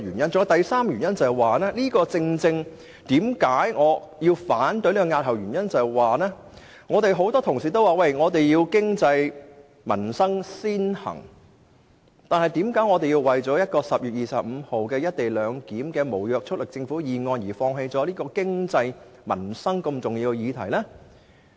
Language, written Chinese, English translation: Cantonese, 我反對押後討論《條例草案》的第三個原因是，很多同事說經濟民生必須先行，那為甚麼我們要為在10月25日提出一項有關"一地兩檢"的無約束力政府議案，而放棄對經濟民生如此重要的法案？, As regards the third reason for objecting to postponing the discussion of the Bill since many Members said that economic and livelihood issues should be given top priority why should we give up a bill that has significant economic and livelihood implications to make way for a non - binding government motion on the arrangements for co - location to be moved on 25 October?